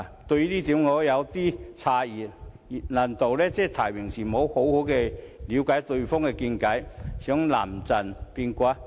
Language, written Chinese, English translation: Cantonese, 這委實令我感到有點詫異，難道是在提名時未有好好了解對方的見解，故此想臨陣變卦？, I am really a little astounded by such a remark . Is it because the EC members have not seriously considered the candidates viewpoints during the stage of nomination that they need to change their minds afterwards?